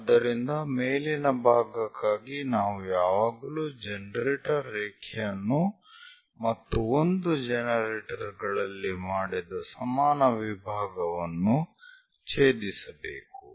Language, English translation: Kannada, So, for the top one, we always have to intersect generator generator line and the equal division made on one of the generator